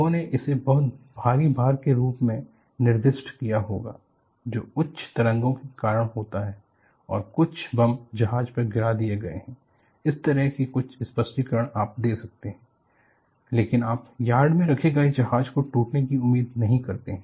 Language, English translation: Hindi, Heavy sea, people would have ascribed this to very heavy loads, that is coming up because of high waves, and or some bomb has been dropped on to the ship; some such explanation you can give, but you do not expect a ship kept in the yard to break